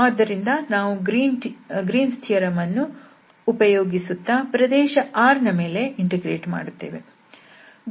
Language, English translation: Kannada, So, what we will do will use this Green’s theorem and apply on this region R